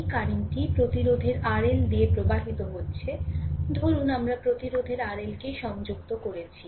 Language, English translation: Bengali, This is the current that is flowing through the resistance R L, suppose we have connected the resistance R L